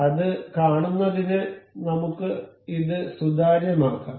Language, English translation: Malayalam, To see that, let us just make this transparent